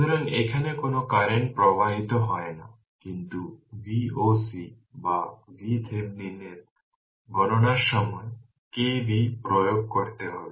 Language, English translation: Bengali, So, no current is flowing here; no current is flowing here, but at that time of computation of V oc or V Thevenin we have to we have to apply k V l